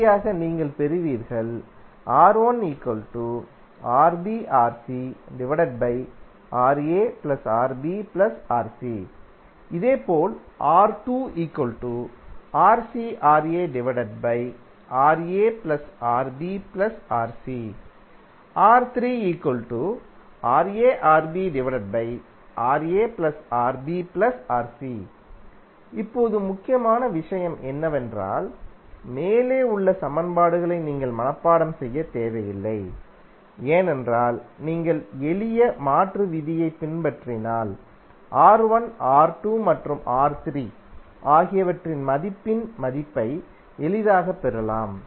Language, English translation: Tamil, Now, the important thing is that you need not to memorize the above equations because if you follow the simple conversion rule, you can easily get the value of the value of R1, R2 and R3